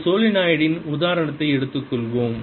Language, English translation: Tamil, let's take that example of a solenoid